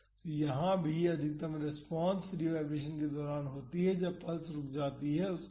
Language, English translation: Hindi, So, here also the maximum response is during the free vibration that is after the pulse stops